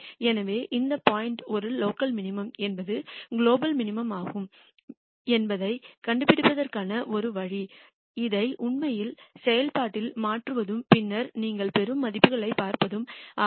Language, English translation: Tamil, So, the only way to figure out which point is a local minimum which is a global minimum is to actually substitute this into the function and then see what values you get